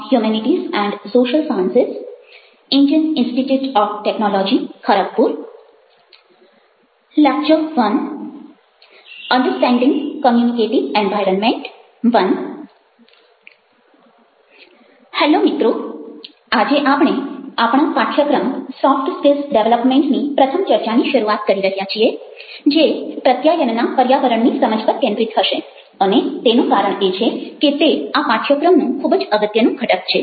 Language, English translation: Gujarati, today we are starting with the first talk of our course, soft skills development, and which will be focusing on understanding the communicative environment, and reason for that is because this is a very, very important component of the course